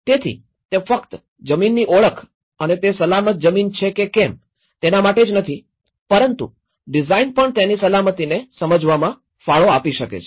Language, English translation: Gujarati, So, it is not only just by identifying the land and this is the safe land but even a design can contribute to the understanding the safety of it